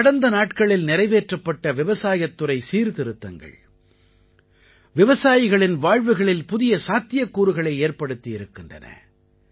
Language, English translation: Tamil, The agricultural reforms in the past few days have also now opened new doors of possibilities for our farmers